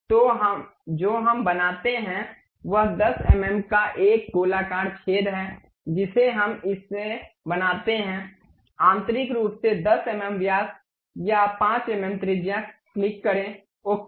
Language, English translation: Hindi, So, what we make is a circular hole of 10 mm we make it, internally circle 10 mm diameter or 5 mm radius click, ok